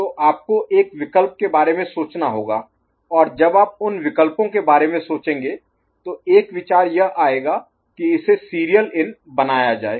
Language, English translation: Hindi, So, you have to think of alternative and when you think of those alternatives one idea that comes is to make it serial in